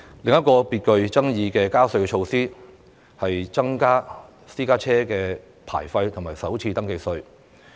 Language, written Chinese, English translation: Cantonese, 另一項具爭議的加稅措施，是增加私家車牌費和首次登記稅。, Another controversial tax increase concerns the vehicle licence fees and first registration tax FRT for private cars